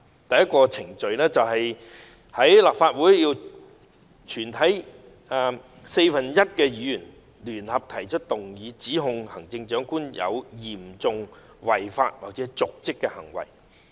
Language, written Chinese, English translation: Cantonese, 第一，立法會全體四分之一的議員聯合提出動議，指控行政長官有嚴重違法或瀆職行為。, First one - fourth of all Members of the Council jointly initiates a motion to charge the Chief Executive with serious breach of law or dereliction of duty